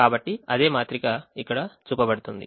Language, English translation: Telugu, so the same matrix is shown here, the first row